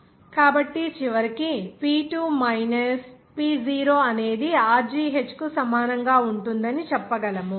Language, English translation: Telugu, So, ultimately we can say that this P2 minus P0 will be equal to Rho gh